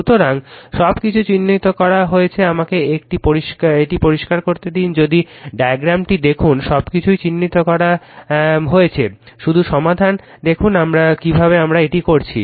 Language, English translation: Bengali, So, everything is marked let me clear it if you look at the diagram everything is marked for you just see carefully how we have done it right